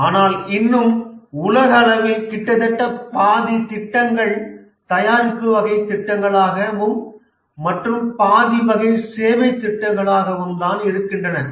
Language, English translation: Tamil, But still worldwide nearly half of the projects are product type of projects and another half is on services